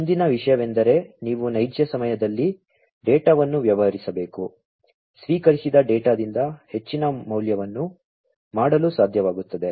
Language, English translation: Kannada, The next thing is that you have to deal with data in real time, to be able to make most value out of the received data